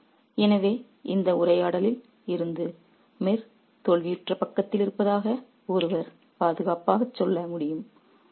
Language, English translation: Tamil, So, from this conversation one can safely say that Mir is on the losing side